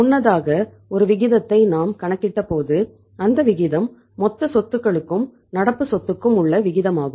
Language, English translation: Tamil, As we worked out a ratio earlier that ratio was the current asset to total assets